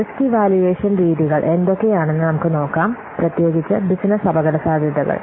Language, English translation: Malayalam, So let's see what are the risk evaluation methods, particularly business risks